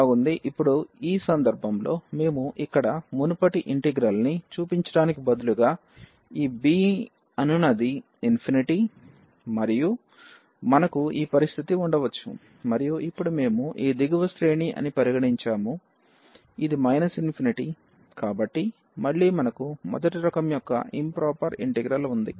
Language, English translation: Telugu, Well, so, now in this case we may have the situation that this instead of showing the earlier integral here this b was infinity and now we have considered that this the lower range is minus infinity so, again we have the improper integral of first kind